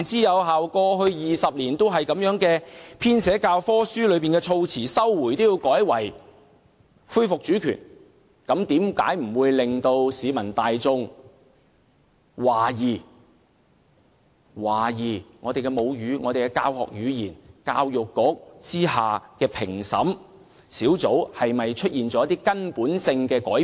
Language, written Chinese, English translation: Cantonese, 二十年以來，本港的教科書一直使用"收回"一詞，現在卻要改為"恢復主權"，難怪市民大眾開始懷疑我們的母語、教學語言及教育局之下的評審小組出現了一些根本性的改變。, The term recovery has been in use in Hong Kongs textbooks for 20 years but now it has to be changed into resumption of sovereignty . No wonder members of the public have started to doubt if our mother tongue medium of instruction and the editing panel under the Education Bureau have all undergone certain fundamental changes . Well where there is smoke there is fire